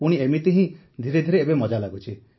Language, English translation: Odia, Then slowly, now it is starting to be fun